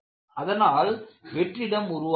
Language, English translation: Tamil, In view of this, voids are formed